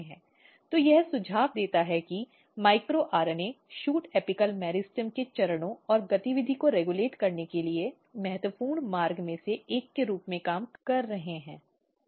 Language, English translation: Hindi, So, this suggest that micro RNAs working as one of the critical pathway to regulate the steps and activity in shoot apical meristem